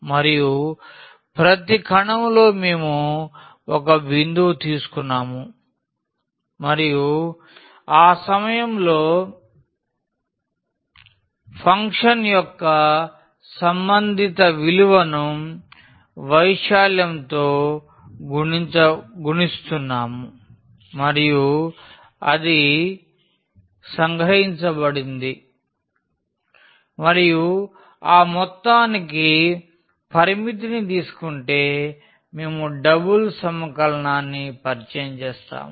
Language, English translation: Telugu, And, then in each cell we had taken a point and the corresponding value of the function at that point was multiplied by the area and that was summed up and taking the limit of that sum we introduce the double integral